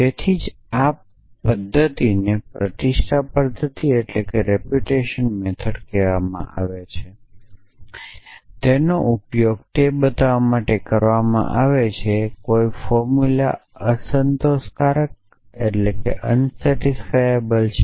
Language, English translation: Gujarati, That is why this method is called reputation method it is used to show that a formula is unsatisfiable